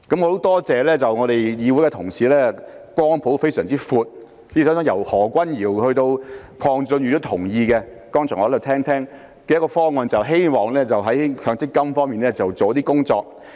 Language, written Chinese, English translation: Cantonese, 我很感謝議會的同事光譜相當廣闊，我剛才聽到由何君堯議員以至鄺俊宇議員也同意這個方案，就是希望在強積金上下些工夫。, I am very grateful to have just heard Honourable colleagues across the broad spectrum of this Council ranging from Dr Junius HO to Mr KWONG Chun - yu agree with this option which seeks to do something around MPF